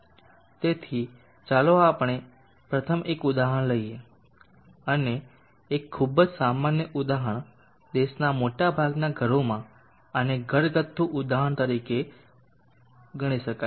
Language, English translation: Gujarati, So let us first take an example a very common example this can be considered as a household example in most of the homes in the country